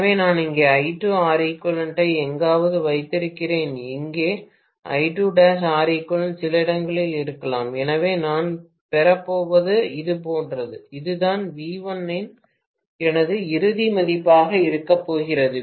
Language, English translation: Tamil, So, I am going to have I2 R equivalent somewhere here and maybe I2 dash x equivalent somewhere here, so what I am going to get is something like this, this is what is going to be my final value of V1